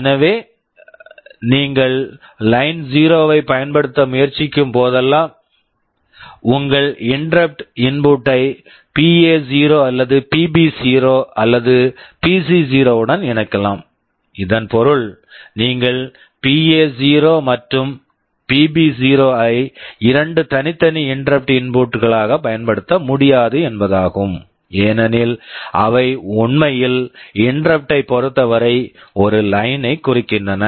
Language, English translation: Tamil, So, whenever when you are trying to use Line0, you can connect your interrupt input to either PA0 or PB0 or PC0; this also means you cannot use PA0 and PB0 as two separate interrupt inputs because they actually mean the same line with respect to interrupt